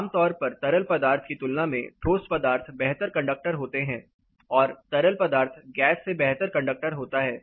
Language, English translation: Hindi, Typically solids are better conductors than liquids on liquids are better conductor then gases